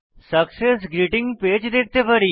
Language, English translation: Bengali, We can see a Success Greeting Page